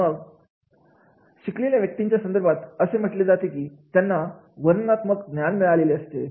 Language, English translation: Marathi, So, in the case of the educated person, it will be descriptive knowledge